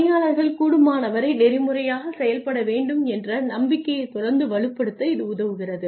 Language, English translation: Tamil, And it helps to constantly reinforce the belief that employees need to act ethically as far as possible